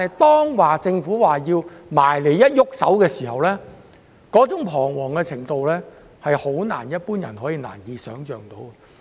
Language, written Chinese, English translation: Cantonese, 當政府表示要清拆他們的寮屋時，他們彷徨的程度實在是非一般人所能想象的。, When the Government raises the necessity of demolishing their squatter structures their frustration is honestly inconceivable to ordinary people